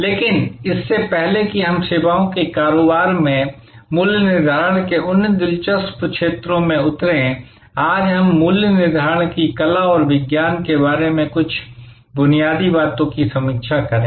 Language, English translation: Hindi, But, before we get into those interesting areas of price setting in services business, let us review today some fundamentals about the art and science of pricing